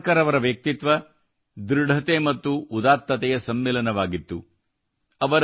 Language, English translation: Kannada, Veer Savarkar's personality comprised firmness and magnanimity